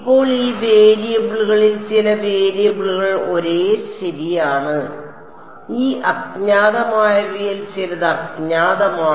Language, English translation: Malayalam, Now of these variables some variables are the same right these unknowns some of these unknown